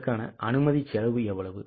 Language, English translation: Tamil, How much is a bus rent permit cost